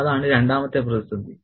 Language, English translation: Malayalam, That's the second crisis